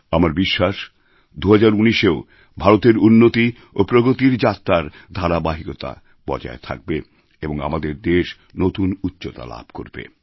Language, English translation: Bengali, I sincerely hope that India's journey on the path of advancement & progress continues through 2019 too